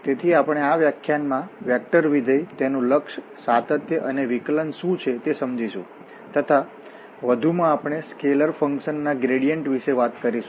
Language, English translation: Gujarati, So, we will cover what are the vector functions in this lecture and their limit, continuity and differentiability, also we will be talking about the gradient of a scalar functions